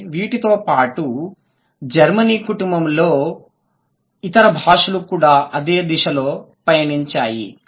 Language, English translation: Telugu, So, these and also other languages in the Germanic family have also moved in the same direction